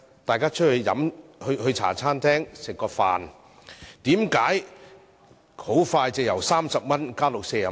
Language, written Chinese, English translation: Cantonese, 大家到茶餐廳吃飯，為何價格很快便由30元加至40元？, Why was the price for a meal served in a Hong Kong - style café raised from 30 to 40 within a very short period of time?